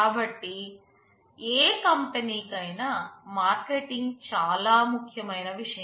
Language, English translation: Telugu, So, marketing is the most important issue for any company